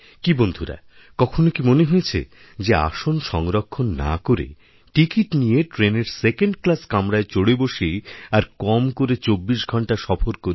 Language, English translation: Bengali, Friends have you ever thought of travelling in a Second Class railway Compartment without a reservation, and going for atleast a 24 hours ride